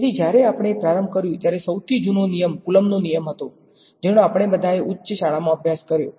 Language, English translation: Gujarati, So, when we started you the oldest law was actually by the Coulomb’s law which we have all studied in high school right